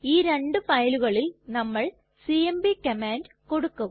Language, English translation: Malayalam, For these and many other purposes we can use the cmp command